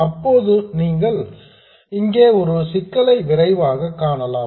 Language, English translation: Tamil, Now you can quickly spot a problem here